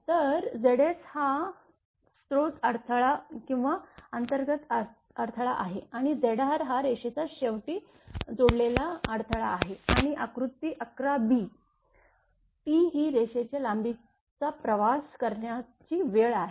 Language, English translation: Marathi, So, Z s is the source impedance or internal impedance and Z r is the or impedance connected at the end of the line and figure 11 b, T is the time for a wave to travel the line length